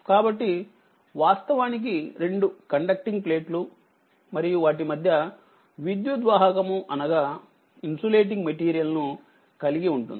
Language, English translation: Telugu, So, this is actually you have a two plate conducting plate and between you have dielectric we call insulating material right